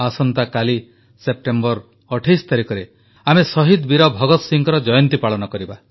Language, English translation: Odia, Tomorrow, the 28th of September, we will celebrate the birth anniversary of Shahid Veer Bhagat Singh